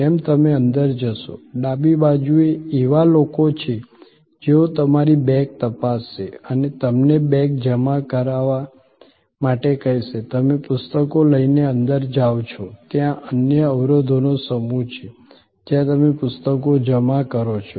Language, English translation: Gujarati, As you go in, on the left hand side there are people who will check your bag and will ask you to deposit the bag, you go in with the books, there is another set of barriers, where you deposit the books